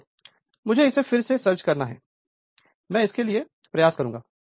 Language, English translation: Hindi, Wait I have to search it again I will go back, I will draw it for you